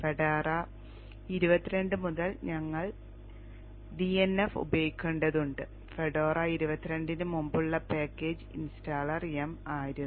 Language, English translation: Malayalam, Fedora 22 onwards we have to use DNF for the package installer as the package installer